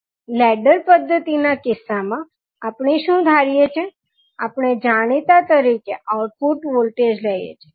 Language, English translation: Gujarati, In case of ladder method, what we assume, we assume output voltage as known